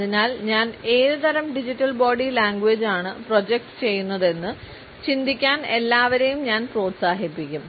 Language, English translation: Malayalam, So, I had encouraged everyone to think about, what type of digital body language am I projecting